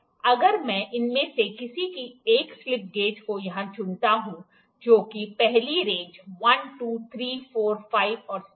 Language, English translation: Hindi, If I pick one of this slip gauges here, which is the first range 1, 2, 3, 4, 5 and 6